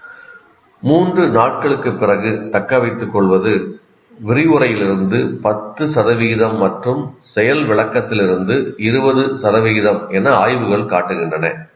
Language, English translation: Tamil, Further, study show that retention after three days is 10% from lecturing and 20% from demonstration